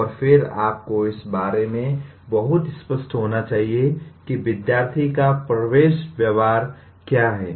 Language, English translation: Hindi, And then you must be very clear about what is the entering behavior of students